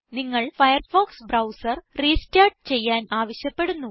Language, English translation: Malayalam, You will be prompted to restart the Firefox browser